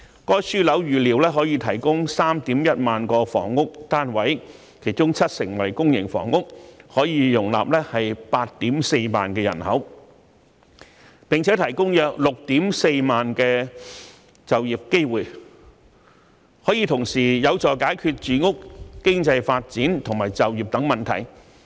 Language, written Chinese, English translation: Cantonese, 該樞紐預料可提供 31,000 個房屋單位，其中七成為公營房屋，可容納 84,000 名人口，並提供約 64,000 個就業機會，可以同時有助解決住屋、經濟發展及就業等問題。, It is expected that the Development Node will produce about 31 000 residential units that can accommodate about 84 000 residents and generate around 64 000 job opportunities . This will also help in solving problems of housing economic development employment etc